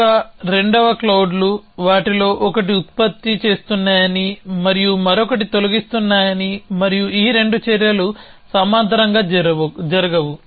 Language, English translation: Telugu, So, the a, second clouds which say that one of them is producing it and other one is deleting it and these 2 actions cannot happen in parallels